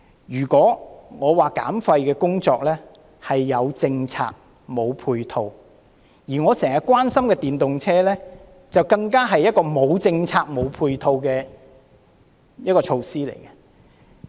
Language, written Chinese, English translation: Cantonese, 如果說減廢工作是"有政策，無配套"，我經常關心的電動車，更可說是一項"無政策，無配套"的項目。, While there is policy but no supporting measure for waste reduction electric vehicles which I am always concerned about can be described as an item for which there is neither policy nor supporting measures